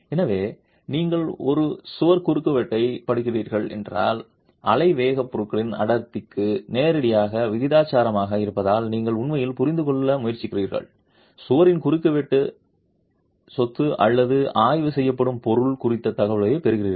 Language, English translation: Tamil, And therefore if you are studying a wall cross section, you are really trying to understand since the wave velocity is directly proportional to the density of the material, you are getting an information on the cross sectional property of the wall or the material that is being studied